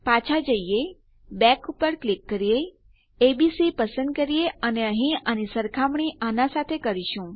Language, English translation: Gujarati, Lets go back, click back, choose abc and we are comparing this here to this here